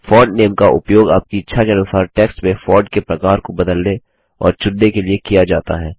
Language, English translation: Hindi, Font Name is used to select and change the type of font you wish to type your text in